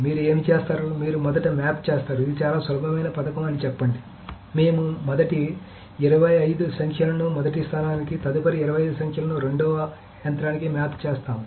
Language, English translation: Telugu, So what you will do is you will map the first, let us say, this is a very simple scheme, you will map the first 24 numbers to the first machine, the next 25 numbers to the second machine and so on so forth